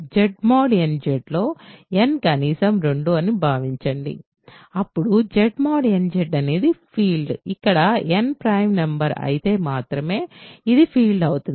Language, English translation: Telugu, So, Z mod n Z so, assume n is at least 2, then Z mod n Z is a field if and only if n is a prime number ok